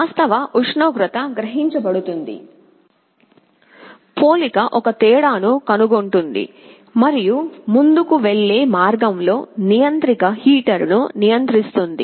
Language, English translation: Telugu, The actual temperature will be sensed, the comparator will be finding a difference, and in the forward path the controller will be controlling a heater